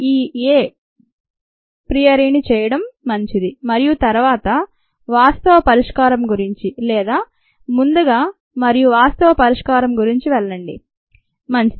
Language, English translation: Telugu, it is good to do this a priory, and then, ah, go about the actual solution, or before hand and go about actual solution